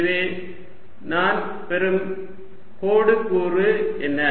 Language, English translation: Tamil, so what is the line element that i get